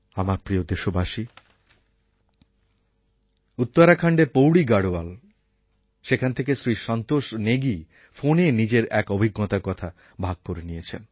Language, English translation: Bengali, My dear countrymen, Santosh Negi from Pauri Garhwal in Uttarakhand, has called up to relate one of his experiences